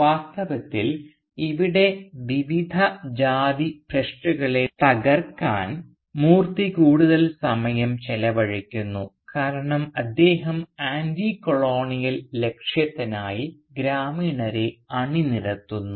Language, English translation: Malayalam, In fact Moorthy spends almost as much time trying to break various caste taboos as he is trying to mobilise the villagers for the Anticolonial cause